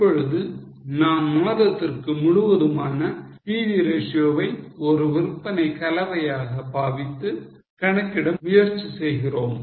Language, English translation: Tamil, Now we are trying to calculate the PV ratio for the month as a whole, treating it as a sales mix